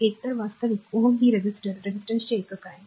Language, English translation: Marathi, So, either actually ohm is the unit of resistor resistance